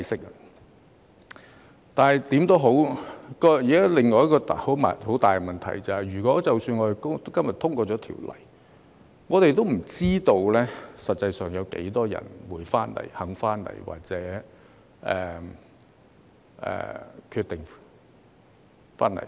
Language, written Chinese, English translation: Cantonese, 無論如何，目前有另一個很大的問題，就是即使今日條例獲得通過，我們也不知道實際有多少人會回來、願意回來或決定回來。, In any event there is another major problem at the moment that is even if the legislation is passed today we do not know how many people will actually come back be willing to come back or decide to come back